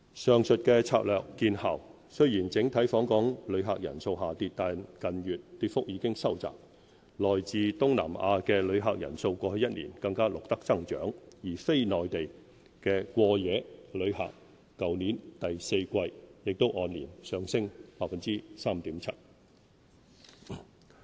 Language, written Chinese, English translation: Cantonese, 上述策略見效，雖然整體訪港旅客人次下跌，但近月跌幅已收窄，來自東南亞的旅客人數過去一年更錄得增長，而非內地的過夜旅客去年第四季亦按年上升 3.7%。, Although total visitor arrivals have dropped the decline has become milder in recent months . In particular the number of visitors from Southeast Asia increased year - on - year while non - Mainland overnight visitors increased by 3.7 % year - on - year in the fourth quarter of last year